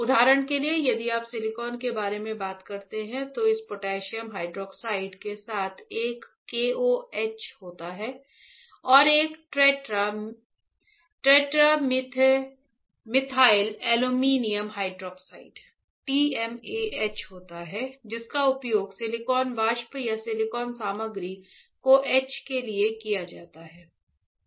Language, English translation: Hindi, For example, if you take about talk about silicon then there is a KOH with this potassium hydroxide and there is a tetramethylammonium hydroxide TMAH which are used to etch the silicon vapor or silicon material